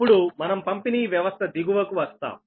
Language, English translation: Telugu, then we will come to downstream, the distribution system